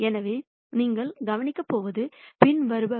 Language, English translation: Tamil, So, what you are going to notice is the following